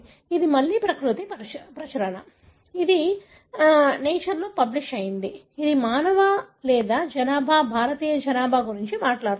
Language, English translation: Telugu, So, this is again a Nature publication, which talks about the human or the population, Indian population